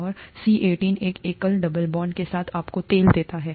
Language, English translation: Hindi, And C18, with a single double bond gives you oil